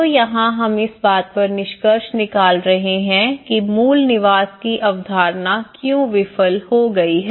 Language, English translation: Hindi, So here, what we are concluding on the very fundamental why the core dwelling concept have failed